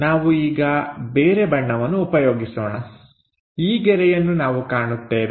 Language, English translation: Kannada, Let us use other color; this line, we will see